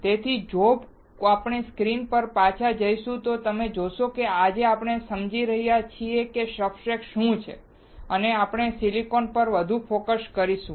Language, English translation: Gujarati, So, if we go back to the screen you will see, that we are understanding today what the substrates and we are will focus more on silicon